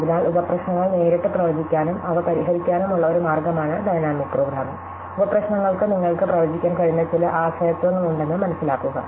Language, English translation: Malayalam, So, dynamic programming is a way to enumerate the sub problems directly and solve them, knowing that the sub problems have some dependencies which you can predict